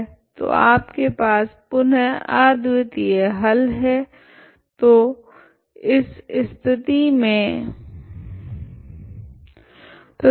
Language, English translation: Hindi, So you have again unique solution, so in this case, okay